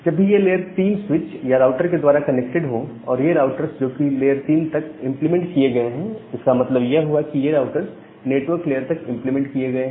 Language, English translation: Hindi, So, whenever they are connected via this layer 3 switch or the router, and these routers they have up to layer 3 implementation; that means, up to network layer implementation